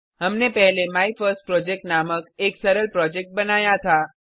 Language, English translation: Hindi, Earlier we had created a simple Project named MyFirstProject